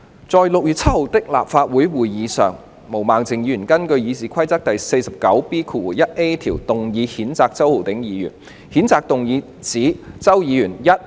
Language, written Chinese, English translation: Cantonese, 在該年6月7日的立法會會議上，毛孟靜議員根據《議事規則》第 49B 條動議譴責周議員。, At the Council meeting of 7 June of the same year Ms Claudia MO moved a motion under Rule 49B1A of the Rules of Procedure to censure Mr CHOW